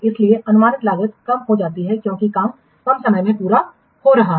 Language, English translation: Hindi, The projected cost is reduced because the work being completed in less time